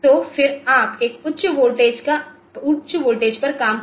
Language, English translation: Hindi, So, then you can operate at a higher voltage